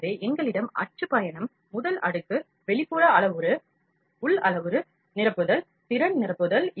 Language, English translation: Tamil, So, we have print, travel, first layer, outer parameter, inner parameter, infill, skill infill